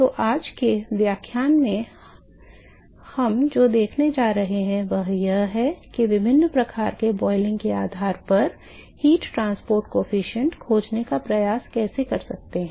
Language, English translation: Hindi, So, what we are going to see in today’s lectures is, we are going a see how we can attempt to find heat transport coefficient, based on what are the different types of boiling